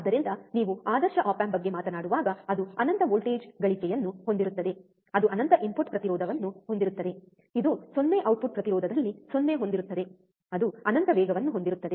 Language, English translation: Kannada, So, same thing when you talk about ideal op amp, it would have infinite voltage gain, it would have infinite input impedance, it would have 0 in output impedance, it will have infinite fast